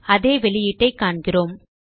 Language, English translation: Tamil, We see the same output